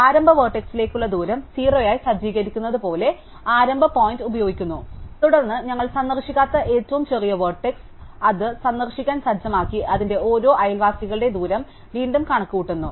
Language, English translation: Malayalam, And we use the starting point as, setting the distance to the start vertex as 0, and then we find the smallest unvisited, vertice, vertex, set it to be visited and recompute the distance of each of its neighbours, right